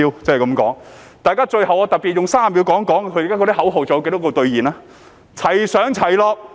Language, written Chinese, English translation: Cantonese, 最後，我特別用30秒談談，他們的口號兌現了多少。, Lastly I will devote 30 seconds to discuss how many of their slogans have been honoured . They have chanted go up and down together